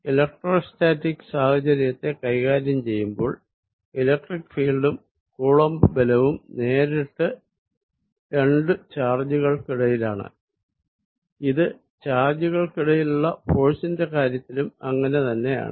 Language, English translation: Malayalam, Although, when dealing with electrostatic situation, description by electric field and the Coulomb's force were directly between two charges is the same as far as the forces on charges are concerned